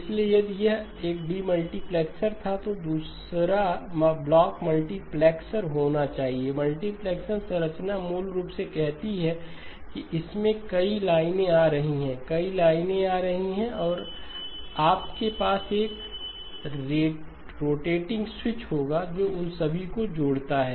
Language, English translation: Hindi, So if this was a demultiplexer then the other block must be the multiplexer, the multiplexer structure basically says that there many lines coming in, many lines coming in and you will have a rotating switch which connects all of them